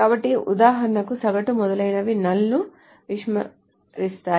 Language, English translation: Telugu, So for example, average, et cetera, will ignore null